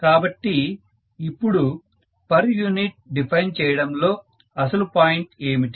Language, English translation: Telugu, Now what is the real point of defining per unit